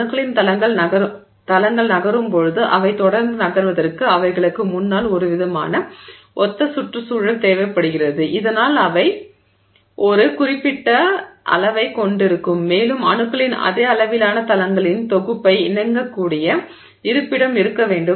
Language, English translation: Tamil, So, now when planes of atoms move, for, for them to continue moving they need some kind of a, you know, similar environment ahead of them so that they can, you know, it will have a certain size and there should be a location which can accommodate the same sized set of plane, plane of atoms